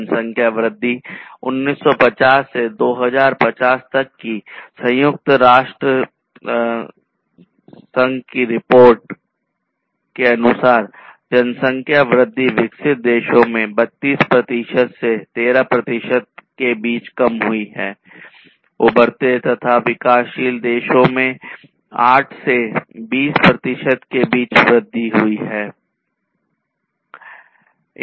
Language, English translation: Hindi, So, based on the United Nations report the population growth is from 1950 to 2050, reduced between 32 percent to 13 percent in developed countries and increased between 8 to 20 percent in emerging and developing countries